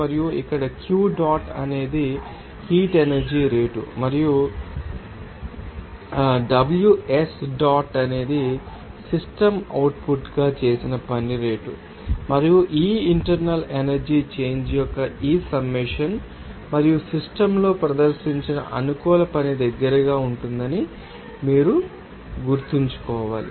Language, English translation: Telugu, And here Q dot is the rate of heat energy in and Ws dot is the rate of work done by the system as output and you have to remember that this summation of this internal energy change and this an pro work performed on the system will be close to or will be regarded as enthalpy of the system